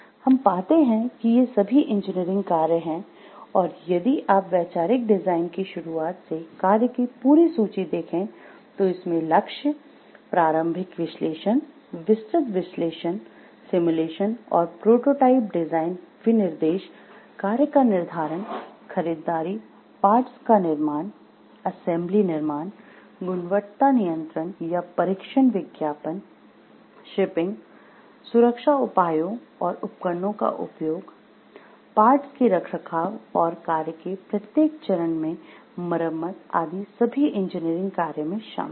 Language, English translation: Hindi, So, what we find these are the engineering tasks and if you see this is a whole list of task from the start of conceptual design then goals, and then preliminary analysis, detailed analysis, simulations and prototyping design specifications, scheduling of task purchasing fabrication of parts, assembly constructions, quality control or testing, advertising, shipping, safety measures and devices use, maintenance of parts and repairs at each and every stages of the task engineering task involved